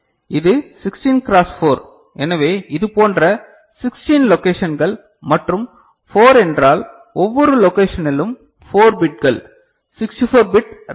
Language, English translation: Tamil, So, this is a 16 cross 4 so, 16 such locations and 4 means, 4 bits in each location 64 bit RAM ok